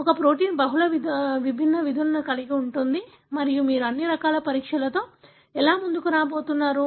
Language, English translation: Telugu, A protein could have multiple different functions and how are you going to come up with all sorts of assays